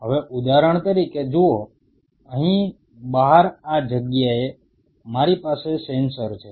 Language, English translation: Gujarati, Now see for example, out here out at this place, I have a sensor out